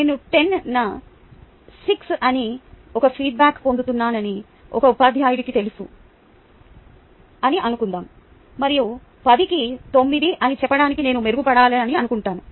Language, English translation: Telugu, suppose a teacher knows that i am getting a feedback that is six on ten and i want to improve to, let us say, nine on ten